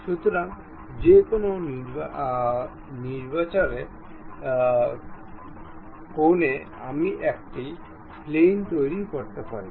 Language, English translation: Bengali, So, at any arbitrary angle, I can really construct a plane